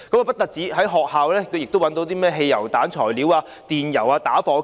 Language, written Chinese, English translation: Cantonese, 不僅如此，在學校亦找到製造汽油彈的材料、電油和打火機。, Furthermore ingredients for production of petrol bombs petroleum and lighters were found in schools